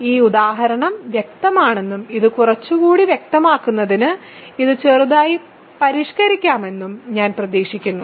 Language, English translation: Malayalam, So, I hope this example is clear and to just to clarify this a little more, let us modify this slightly